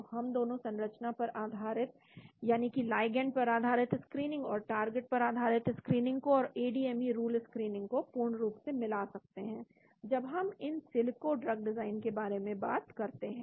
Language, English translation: Hindi, so we can combine both the structure based that is the ligand based screening and target based screening and ADME rules screening altogether when we talk about in silico drug design